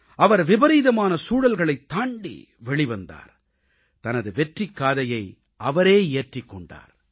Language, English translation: Tamil, He overcame the adverse situation and scripted his own success story